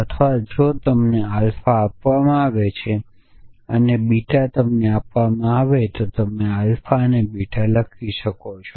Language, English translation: Gujarati, Or if alpha is given to you and beta is given to you then you can write alpha and beta